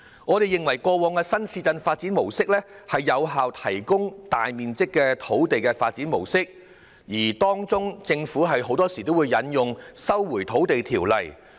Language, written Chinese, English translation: Cantonese, 我們認為過往的新市鎮發展模式，是有效提供大面積土地的發展模式，其間，政府往往會引用《收回土地條例》。, In our view the previous new town development approach was one which could effectively provide large areas of land . During the process the Government would usually invoke the Lands Resumption Ordinance